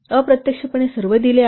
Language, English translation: Marathi, So, indirect related given